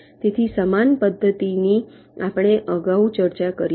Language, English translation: Gujarati, so similar method we have discussed earlier also